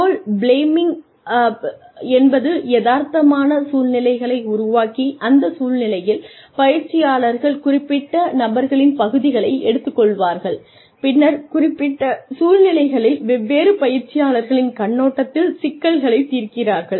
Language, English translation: Tamil, Role playing is the creation of realistic situations, where trainees assume the parts of specific persons in that situation, and then solve problems, from the perspective of different players, in specific situations